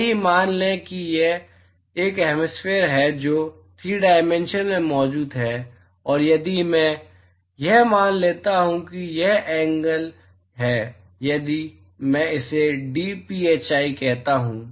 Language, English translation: Hindi, Let us assume that there is a hemisphere which is present in 3 dimensions and if I assume that so this is the angle if I call this as dphi